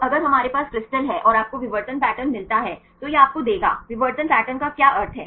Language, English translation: Hindi, So, if we have the crystal and you get the diffraction pattern this will give you, what is a meaning of the diffraction pattern